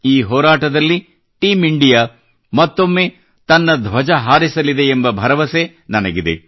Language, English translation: Kannada, I hope that once again Team India will keep the flag flying high in this fight